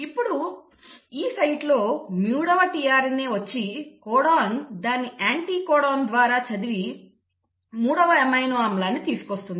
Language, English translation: Telugu, So now at this site the third tRNA will come which will read the codon through its anticodon and will bring the third amino acid